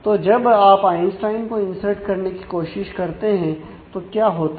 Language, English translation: Hindi, So, what would happen when you try to insert Einstein